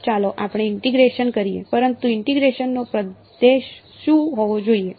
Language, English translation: Gujarati, So, let us integrate, but what should be the region of integration